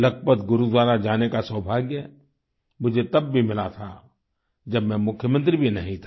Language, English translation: Hindi, I had the good fortune of visiting Lakhpat Gurudwara when I was not even the Chief Minister